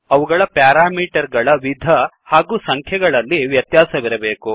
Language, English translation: Kannada, They must differ in number or types of parameters